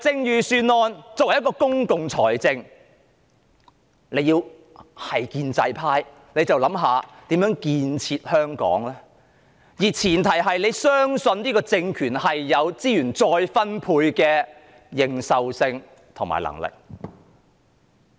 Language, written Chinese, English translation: Cantonese, 預算案是運用公共財政的計劃，建制派好應該思考如何建設香港，而前提是他們要相信這個政權具備資源再分配的認受性和能力。, A budget is the plan on the use of public finance . The pro - establishment camp should consider it from the angle of how Hong Kong should be developed and such consideration should be premised on their belief that this regime has the mandate and ability to redistribute resources